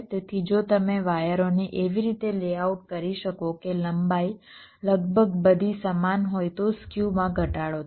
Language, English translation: Gujarati, so if you can layout the wires in such a way that the lengths are all approximately the same, then skew minimization will take place